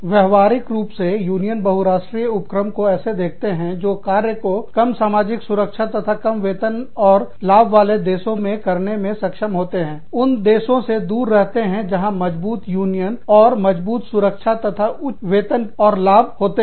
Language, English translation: Hindi, In practical terms, unions view multi national enterprises, as being able to locate work in countries, with lower social protections, and lower wages and benefits, staying away from countries, with stronger unions, and stronger protection, and higher wages and benefits